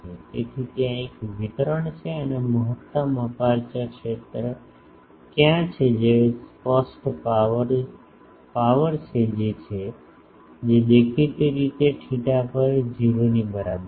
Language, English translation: Gujarati, So, there is a distribution and where is the maximum aperture field that is obvious a power that is; obviously, at the theta is equal to 0